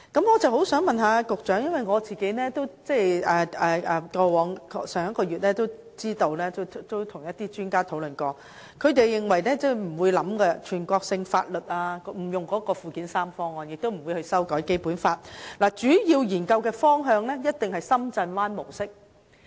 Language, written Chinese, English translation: Cantonese, 我想問局長的是，我上月曾與一些專家進行討論，他們認為透過附件三實施全國性法律的做法不會予以考慮，亦不會修改《基本法》，他們指出，主要的研究方向一定是深圳灣模式。, I wish to ask the Secretary this Last month I had discussions with some experts who held that consideration would not be given to applying national laws through Annex III; nor would there be any amendment made to the Basic Law . They pointed out that the main direction of consideration is definitely the Shenzhen Bay model